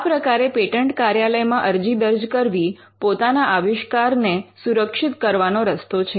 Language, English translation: Gujarati, So, filing an application before the patent office is a way to protect your invention